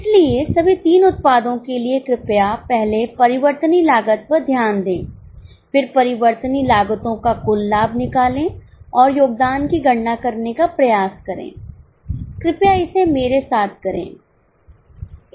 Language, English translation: Hindi, So, for all the three products, please note the variable cost first, then take the total of variable cost and try to compute the contribution